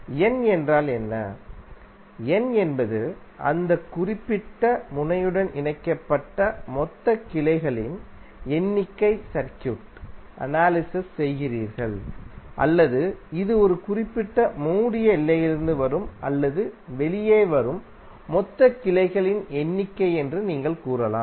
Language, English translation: Tamil, What is N, N is the total number of branches connected to that particular node where we are analysing the circuit or you can say that it is total number of branches coming in or out from a particular closed boundary